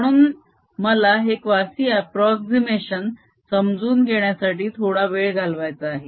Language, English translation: Marathi, so i want to spend some time in understanding this quasistatic approximation